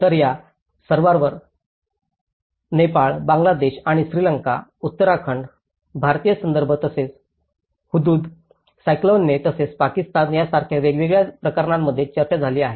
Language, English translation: Marathi, So, all this they have been discussed in different cases including Nepal, Bangladesh and Sri Lanka, Uttarakhand, Indian context and as well as Hudhud cyclone and as well as Pakistan